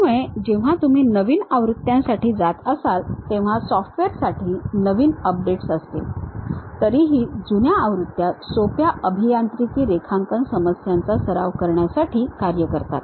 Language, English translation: Marathi, So, when you are going for new versions, new updates will be there for the software still the older versions work for practicing the simple engineering drawing problems